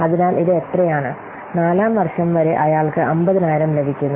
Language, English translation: Malayalam, That means, up to 4th year he is getting 50,000